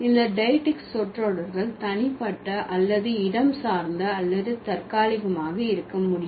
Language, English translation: Tamil, And these diactic phrases could be either personal or spatial or temporal